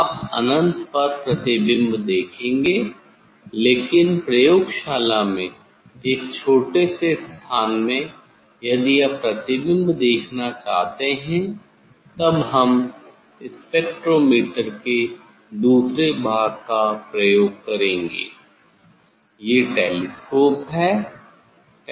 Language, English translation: Hindi, you will see the image at infinity, but in lab in a smaller space if you want to see the image then we use these another part of the of the spectrometer that is the telescope